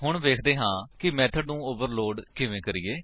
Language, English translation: Punjabi, Let us now see how to overload a method